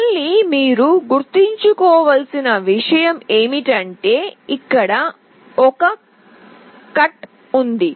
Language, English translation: Telugu, Again one thing you have to remember is that there is a cut here